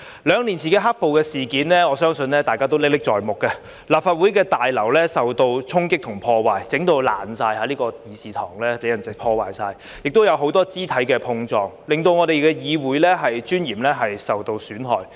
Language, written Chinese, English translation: Cantonese, 兩年前的"黑暴"事件，我相信大家都歷歷在目，立法會大樓受到衝擊和破壞，弄致完全破爛，這個議事堂被人完全破壞，亦有很多肢體碰撞，令我們議會尊嚴受到損害。, I believe that Members still vividly remember the black - clad violence incidents of two years ago . The Legislative Council Complex was devastated by storming and vandalism and this Chamber was totally destroyed . There were also many physical scuffles causing harm to the dignity of this Council